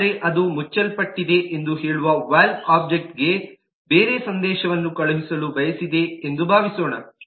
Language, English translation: Kannada, but suppose it wants to send a different message to the valve object saying it is closed